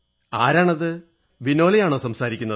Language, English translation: Malayalam, Is that Vinole speaking